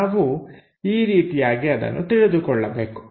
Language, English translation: Kannada, This is the way we have to understand that